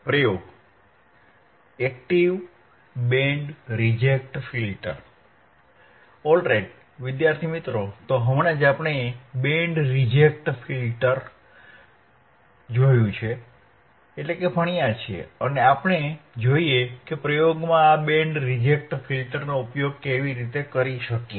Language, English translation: Gujarati, Alright, so, just now we have seen band reject filter right and let us see how we can use this band reject filter by in an experiment in an experiment